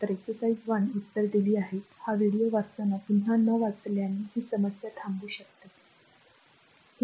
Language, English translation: Marathi, So, exercise 1 answers are given not reading again when you will read this video you can pause and see this problem